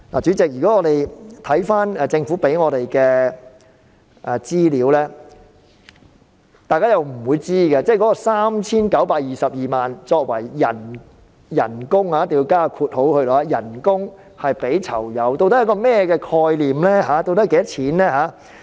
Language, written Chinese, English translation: Cantonese, 主席，單靠政府提供給我們的資料，大家不會知道 3,922 萬元作為給予囚友的"工資"究竟是甚麼概念。, Chairman it is difficult to figure out what does the 39.22 million budget for inmates earnings represent with the information provided by the Administration alone